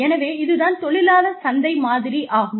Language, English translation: Tamil, So, this is the labor market model